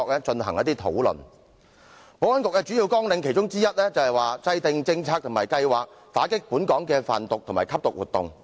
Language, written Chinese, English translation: Cantonese, 保安局其中一項主要綱領是制訂政策和計劃，打擊本港的販毒及吸毒活動。, One of the main programmes of the Security Bureau is to formulate policies and programmes against drug trafficking and drug abuse in the community